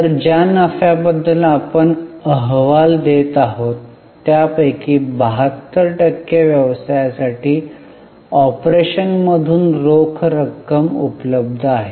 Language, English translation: Marathi, So, out of the profits which we are reporting, 72% is available as cash from operations for the business